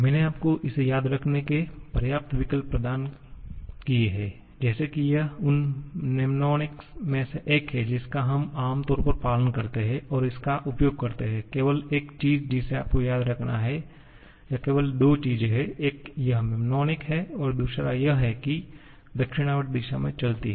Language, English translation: Hindi, I have provided you enough options of remembering this like this is one of the mnemonics that we generally follow and using this then you can, only thing that you have to remember or only two things, one is this mnemonic and then moving in the clockwise direction